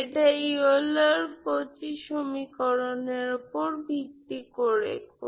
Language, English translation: Bengali, So this is on par with the Euler Cauchy equation